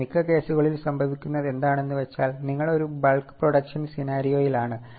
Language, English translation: Malayalam, But in many cases what happens, you are into a bulk production scenario